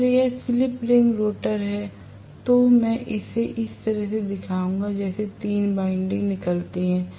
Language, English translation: Hindi, If it is slip ring rotor I will show it like this as though 3 windings come out that is it